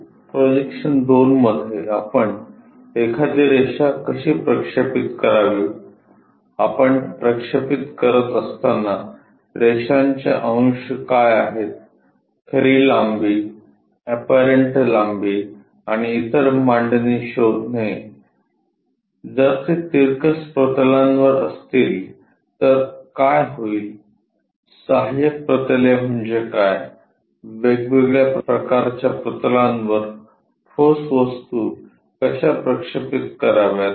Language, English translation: Marathi, In projection II; we will cover about how to project a line, what are traces of lines when we are projecting, finding true length apparent length and otherconfigurations, if it ison inclined planes what will happen, what are auxiliary planes, how to project a solid onto planes on different kind of planes